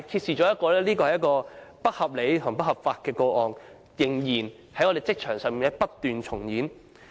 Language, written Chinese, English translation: Cantonese, 上述不合理及不合法的做法，在我們的職場上仍然不斷重演。, The aforesaid malpractice which is both unreasonable and unlawful keeps on recurring in our workplace